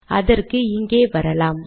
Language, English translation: Tamil, So lets come here